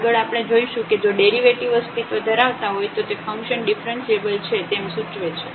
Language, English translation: Gujarati, The next we will see that if the derivative exists that will imply that the function is differentiable